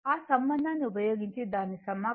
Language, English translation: Telugu, If you integrate it using that relationship right, omega is equal to 2 pi by T